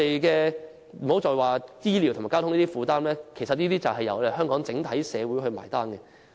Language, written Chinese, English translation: Cantonese, 更不用說醫療和交通等負擔，其實都須由香港整體社會負責"埋單"。, What is more we have to bear the burden arising from their health care and transport needs . Actually the entire Hong Kong society will have to foot the bill